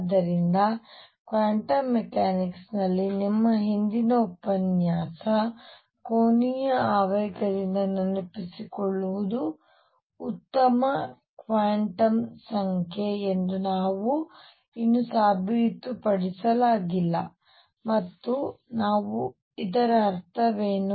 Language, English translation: Kannada, So, in quantum mechanics correspondingly recall from your previous lecture angular momentum could we not yet proved could be a good quantum number and what do we mean by that